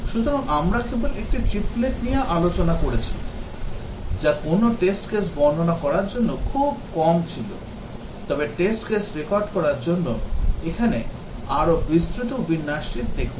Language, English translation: Bengali, So, we just discussed a triplet, which was the very least to describe a test case, but just see here a more elaborate format for recording test case